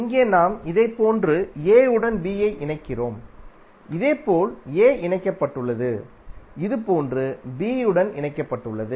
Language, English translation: Tamil, Here we are connecting a to b like this and similarly a is connected a is connected to b like this